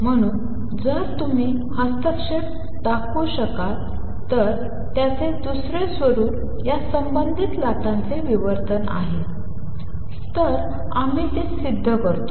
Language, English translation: Marathi, So, if you can show the interference another form of which is diffraction of these associated waves then we prove it